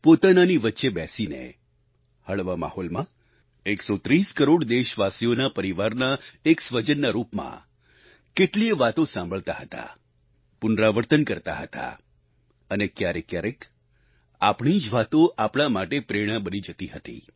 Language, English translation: Gujarati, It used to be a chat in a genial atmosphere amidst the warmth of one's own family of 130 crore countrymen; we would listen, we would reiterate; at times our expressions would turn into an inspiration for someone close to us